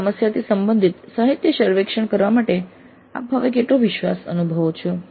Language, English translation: Gujarati, How confident do you feel now in carrying out the literature survey related to a given problem related to self learning